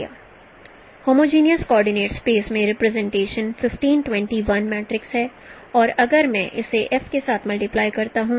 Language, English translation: Hindi, I multiply the, 1520, the representation is 1521 in the homogeneous coordinate space and if I multiply it with F